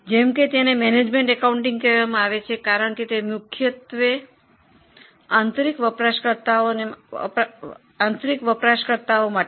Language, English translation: Gujarati, As the name suggests, it is called management accounting because it's mainly for internal users